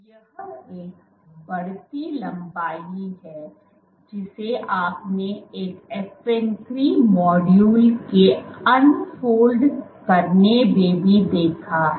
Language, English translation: Hindi, That is the increasing length that you observed even for unfolding of one FN 3 module